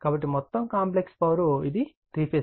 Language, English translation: Telugu, So, total complex power, it will be three phase right